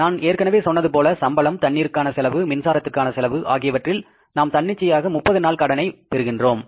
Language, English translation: Tamil, As I told you, salaries, water wells, electricity bills, they there we get the spontaneous credit of 30 days